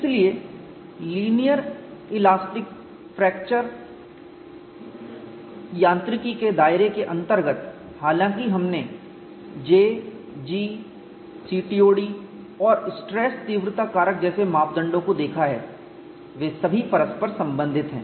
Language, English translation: Hindi, So, within the confines of linear elastic fracture mechanics although we have seen parameters like J, G, CTOD and stress intensity factor they are all interrelated